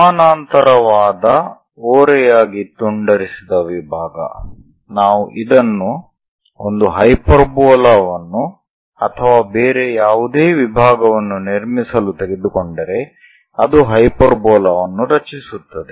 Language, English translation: Kannada, If a parallel slant cut section if we are taking it construct a hyperbola and any other section it makes hyperbola